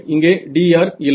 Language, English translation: Tamil, Sorry there is no dr